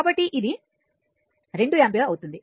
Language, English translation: Telugu, So, it will be 2 ampere